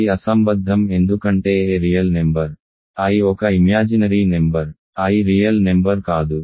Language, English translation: Telugu, This is absurd because a is a real number, i is a imaginary number, i is not a real number